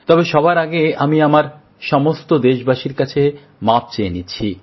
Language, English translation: Bengali, But first of all, I extend a heartfelt apology to all countrymen